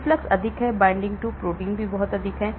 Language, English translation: Hindi, The efflux is very high; binding to protein is also very high